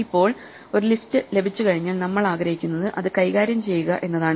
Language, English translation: Malayalam, Now, once we have a list what we would like to do is manipulate it